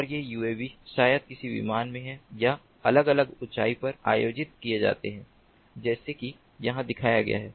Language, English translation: Hindi, and these uavs maybe in some plane or are organized at different altitudes, like shown over here